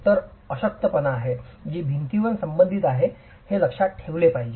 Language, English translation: Marathi, So, this is a weakness that needs to be kept in mind as far as the wall is concerned